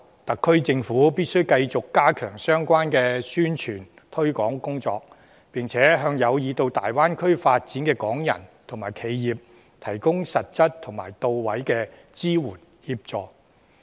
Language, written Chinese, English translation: Cantonese, 特區政府必須繼續加強相關的宣傳推廣工作，並向有意到大灣區發展的港人及企業，提供實質及到位的支援和協助。, The Special Administrative Region Government must continue strengthening the relevant promotion and publicity work and provide practical and effective support and assistance to Hong Kong people and enterprises who intend to seek development in the Greater Bay Area